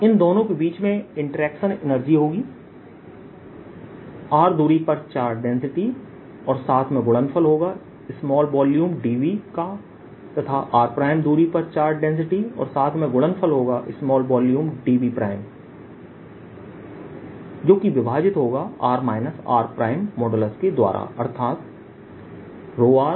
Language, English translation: Hindi, then the interaction energy between these two is going to be density at r times volume, small volume d v that is the charge there then density at r prime, primes of volume at r prime, divided by the distance between them